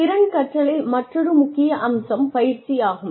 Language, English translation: Tamil, Practice is another aspect of skill learning